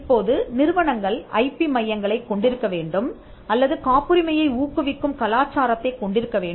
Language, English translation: Tamil, Now, want institutions to have IP centres or to have a culture of promoting patents